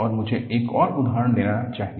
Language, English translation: Hindi, And, let me take one more example